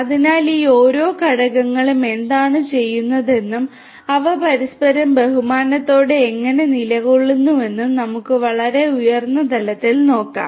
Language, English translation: Malayalam, So, let us look at a very high level what each of these components do and how they position themselves with respect to each other